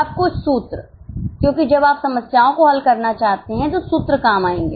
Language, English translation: Hindi, Now some of the formulas because when you want to solve problems the formulas will come handy